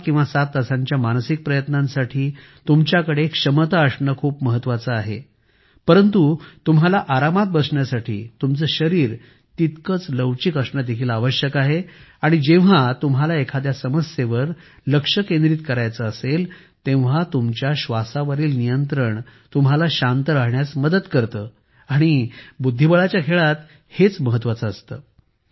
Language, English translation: Marathi, You need to have the stamina to last 6 or 7 hours of intense mental effort, but you also need to be flexible to able to sit comfortably and the ability to regulate your breath to calm down is helpful when you want to focus on some problem, which is usually a Chess game